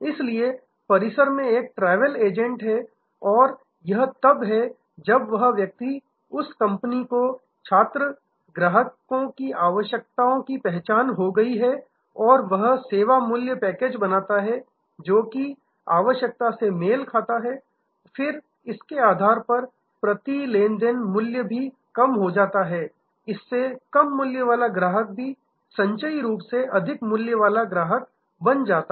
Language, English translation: Hindi, So, there is a travel agent on the campus and it is when that person that company recognizes the kind of requirements of the student customers and create value packages, matching that kind of requirement, then even a low per transaction value customer can become a very high value customer cumulatively